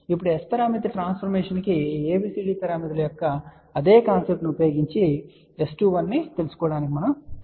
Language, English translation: Telugu, Now, we will try to find out S 21 using the same concept of the ABCD parameters to S parameter transformation